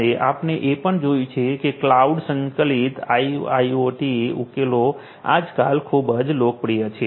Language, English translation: Gujarati, So, now, we have also seen that cloud integrated IIoT solutions are very popular nowadays